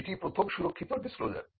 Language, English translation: Bengali, So, that is the first protected disclosure